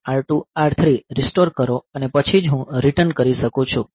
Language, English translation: Gujarati, So, restore R1 R2 R3 and then only I can do return